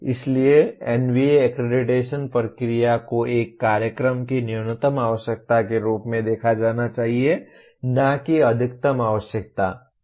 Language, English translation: Hindi, So NBA accreditation process should be seen as looking at the minimum requirement of a program, not the maximum requirement